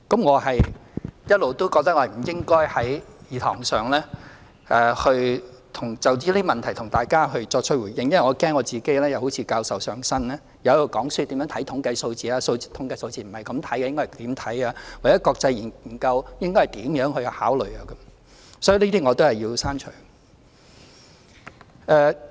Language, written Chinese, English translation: Cantonese, 我一直覺得我不應該在議事堂上就這些問題向大家作出回應，因為我怕自己會好像教授"上身"，在這裏講課，教市民大眾如何看統計數字，說統計數字不是這樣看，應該怎樣看，又或國際研究應該如何考量等。, I have always felt that I should not respond to Members regarding such matters in the Chamber because I am afraid that I might behave like a professor and give a lecture here teaching the public how to interpret statistics and telling them the dos and donts of examining statistics or how they should consider international studies and so on